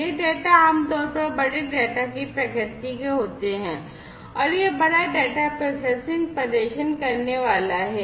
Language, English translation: Hindi, These data are typically of the nature of big data and this big data processing is going to be performed